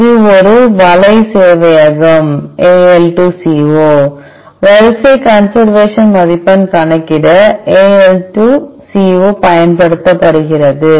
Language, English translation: Tamil, This is a web server AL2CO, Al2CO is used to calculate the sequence conservation score